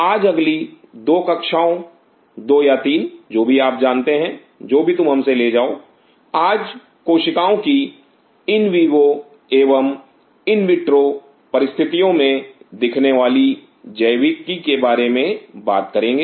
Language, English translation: Hindi, Today next 2 classes what 2 to 3 whatever you know whatever you take us, we will talk about the biology of the cells visible the in vivo and the in vitro conditions